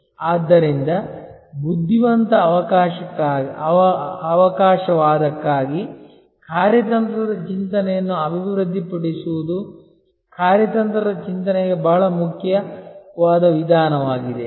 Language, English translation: Kannada, So, developing strategic thinking for intelligent opportunism is a very important approach to strategic thinking